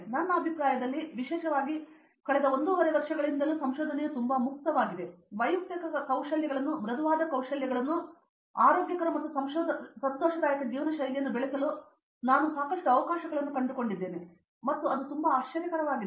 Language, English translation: Kannada, Research is very free in my opinion and particularly in from past one and half year or so, I have found lot of opportunities to develop inter personal skills, soft skills and a very healthy and joyful life style and that was a very present surprise